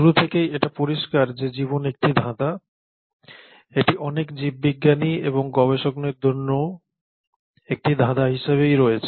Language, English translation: Bengali, Now since its inception, it is very clear that life has been an enigma and it continues to be an enigma for a lot of biologists as well as other researchers